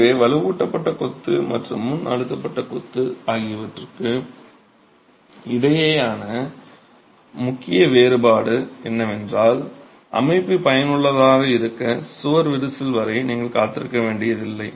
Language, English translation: Tamil, So, the main difference between reinforced masonry and pre stress masonry is that here you don't have to wait for the wall to crack for the system to be effective